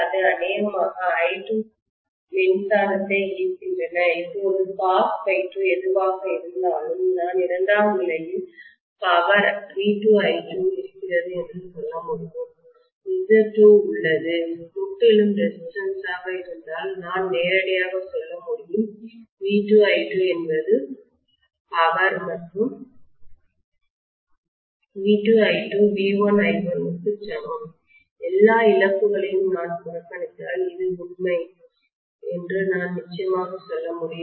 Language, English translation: Tamil, Now I can say the power on the secondary side is V2 I2 whatever is cos phi 2, if I say Z2 is purely resistive I can directly say V2 I2 is the power and V2 I2 equal to V1 I1 if I neglect all the losses from which I can definitely say this is true, right